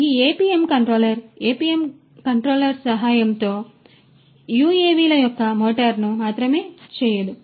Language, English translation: Telugu, So, this APM controller not only the motors the flight of these UAVs with the help of the APM controller is performed